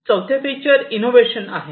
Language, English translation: Marathi, The fourth feature is about innovation